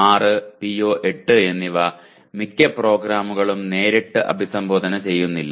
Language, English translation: Malayalam, PO6 and PO8 are not directly addressed by most of the programs